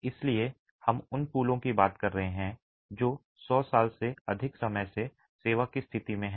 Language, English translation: Hindi, So, we are talking of bridges which have been in service condition for over 100 years easily